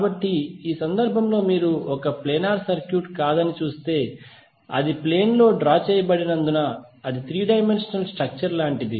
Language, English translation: Telugu, So, like in this case if you see it is not a planar circuit because it is not drawn on a plane it is something like three dimensional structure